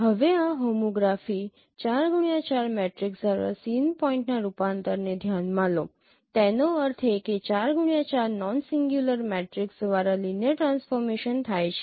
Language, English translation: Gujarati, Now consider a transformation of sin point by this homography 4 cross 4 that means by a 4 cross 4 non singular matrix a linear transformation